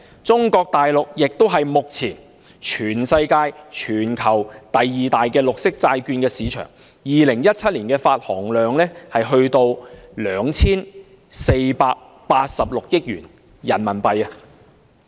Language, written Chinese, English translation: Cantonese, 中國大陸目前是全球第二大綠色債券市場，在2017年的發行量便達 2,486 億元人民幣。, Mainland China is currently the second largest green bond market in the world with issuance totalling RMB248.6 billion in 2017